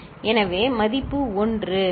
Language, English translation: Tamil, So, the value is 1, right